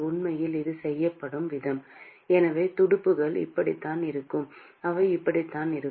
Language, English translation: Tamil, And in fact, the way it is done is so the fins sorts of looks like this, they sort of look like this